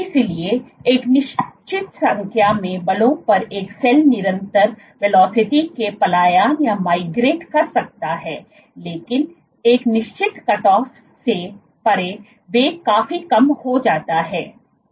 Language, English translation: Hindi, So, over a certain magnitude of forces the constant which a cell can migrate at constant velocity, but beyond a certain cutoff the velocity drops significantly